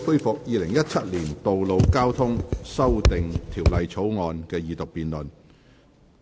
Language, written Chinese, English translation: Cantonese, 本會恢復《2017年道路交通條例草案》的二讀辯論。, We resume the Second Reading debate on the Road Traffic Amendment Bill 2017